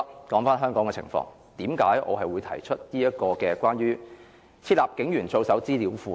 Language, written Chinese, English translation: Cantonese, 說回香港的情況，為甚麼我會提出關於"設立警員操守資料庫"的議案？, As for the situation in Hong Kong today why do I have to move the motion on Setting up an information database on the conduct of police officers?